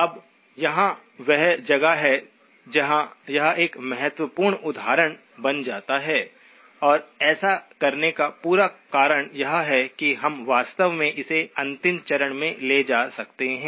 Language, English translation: Hindi, Now here is where it becomes an important example and that is the whole reason of doing this so that we can actually take it to the last step